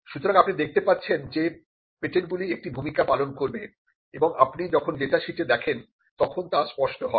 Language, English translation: Bengali, So, you can find that you will see that patents do play a role and that is very clear when you see into the data sheets